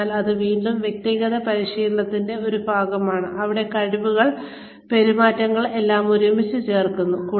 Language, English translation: Malayalam, So, this is again a part of personal analysis, where the competencies, the skills, behaviors, everything is sort of brought together